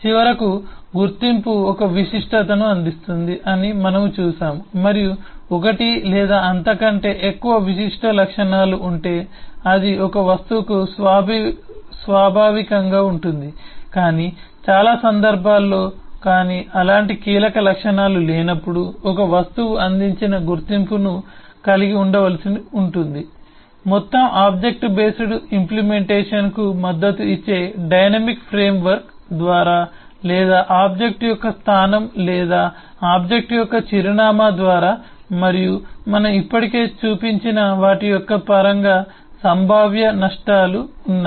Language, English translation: Telugu, and finally, we have seen that identity provides a distinguishability and it could be inherent to an object if there is one or more distinguishable properties, but in many cases, but in absence of such key properties, an object may need to carry an identity which is either provide by a dynamic framework supporting the whole object based implementation, or merely by the location of the object or the address of the object, and there are potential risks in terms of those wham of which we have already shown